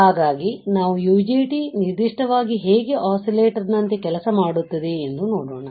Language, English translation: Kannada, So, this is how the UJT oscillator will work